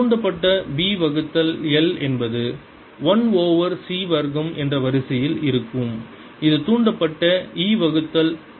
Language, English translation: Tamil, b induced divided by l is going to be of the order of one over c square that e induced divided by tau